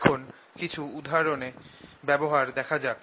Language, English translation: Bengali, let us now use this to see some examples